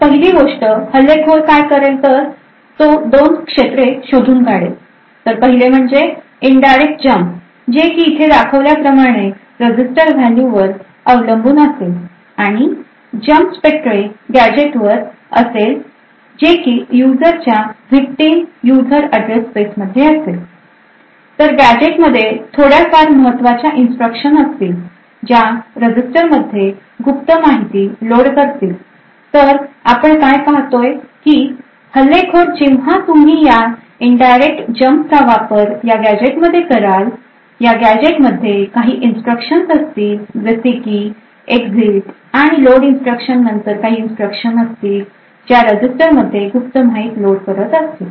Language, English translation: Marathi, So the first thing that has done is that the attacker would identify 2 regions in the court so 1 it has an indirect jumped based on a register value as shown over here and this jump is to some specific Spectre gadget which is present in the users victims user address space so this gadget did comprises of a few instructions that essentially would load into a register the contents of the secret information so what we see is that the attacker once you utilized this indirect Jump to this gadget and this gadget has instructions such as exit or and something like that followed by a load instruction which includes secret data into a register